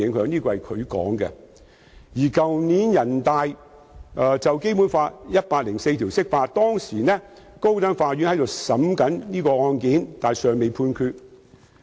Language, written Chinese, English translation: Cantonese, 去年，人大常委會就《基本法》第一百零四條釋法，當時高等法院正審理這宗案件，但尚未判決。, Last year NPCSC made an interpretation of Article 104 of the Basic Law when the High Court was still hearing the case and a judgment was not yet given